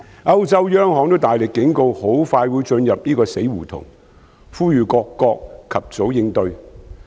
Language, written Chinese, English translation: Cantonese, 歐洲央行也大力警告很快會進入死胡同，呼籲各國及早應對。, The European Central Bank has also given strong warnings that we will hit a dead end soon and called on countries to make early response